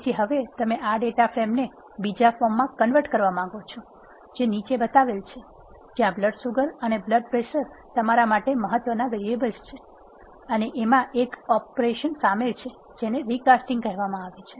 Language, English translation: Gujarati, So now, you want to convert this data frame into the other form which is shown below, where you have blood sugar and blood pressure as the variables of importance to you and this involves an operation which is called recasting, this recasting is demonstrated using an example here